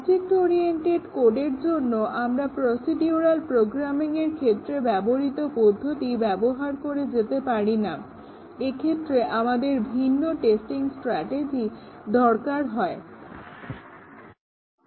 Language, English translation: Bengali, We cannot just use the same techniques we used for procedural programming in object oriented code, we need different testing strategies